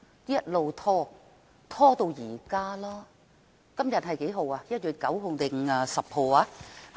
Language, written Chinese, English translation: Cantonese, 一直拖延至今，今天是1月9日，還是10日？, It was delayed all the way until now . Is today 9 or 10 January?